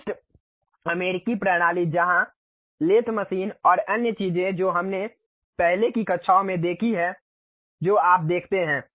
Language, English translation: Hindi, The typical US system where the lathe machines and other things what we have seen in the earlier classes that view you will be having